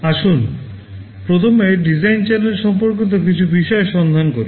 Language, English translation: Bengali, Let us look at some issues relating to design challenges first